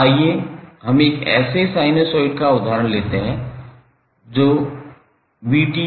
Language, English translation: Hindi, Let's take the example of one sinusoid that is vT is equal to 12 cos 50 t plus 10 degree